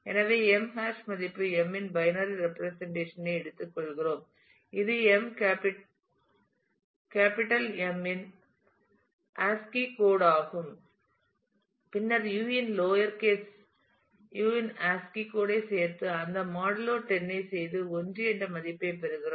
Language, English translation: Tamil, So, M hash value of music we take the binary representation of m which is the ascii code of M capital M; then add the ascii code of u the lower case u and so, on and do that modulo 10 and we get a value which is 1